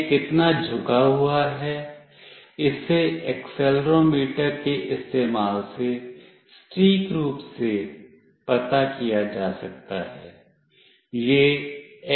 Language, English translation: Hindi, How much it is tilted can be accurately found out using the accelerometer